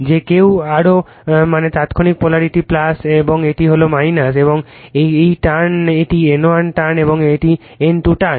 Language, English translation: Bengali, Anybody aero it means instantaneous polarity plus and this is minus and this turn this is N 1 turn is an N 2 turns